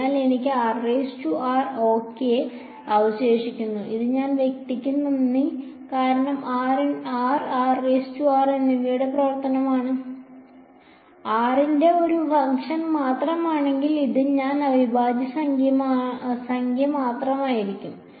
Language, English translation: Malayalam, So, I am going to be left with r prime ok, and that is thanks to this guy because g 1 is the function of r and r prime; if g 1 where a function of r only then it will just be a number this integral right